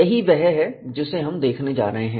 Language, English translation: Hindi, This is what we are going to look at